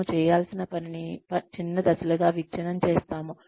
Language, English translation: Telugu, We break the work, that is required to be done, into smaller steps